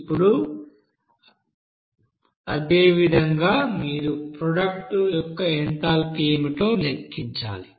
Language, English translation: Telugu, Now similarly you have to calculate what will be the enthalpy of product